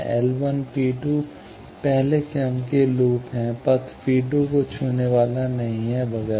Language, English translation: Hindi, L 1 P 2, first order loop not touching path P 2, etcetera